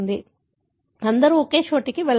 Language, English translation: Telugu, So, not everyone go to the same place